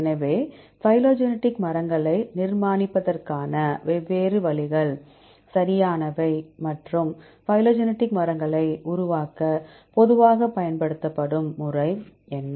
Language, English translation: Tamil, So, the different ways to construct phylogenetic trees right; what are the different; what is the very commonly used method to construct phylogenetic trees